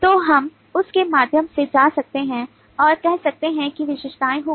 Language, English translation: Hindi, so we can go through that and say that these will be the attributes